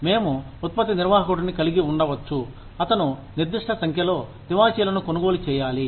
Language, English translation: Telugu, We could have the product manager, who has to buy a certain number of carpets